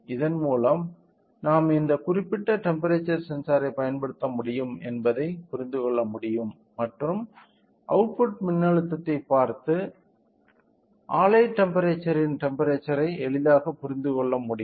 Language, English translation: Tamil, So, with this we can understand that we can we can use this particular temperature sensor and by looking into the output voltage we can easily understand the output voltage the temperature of the plant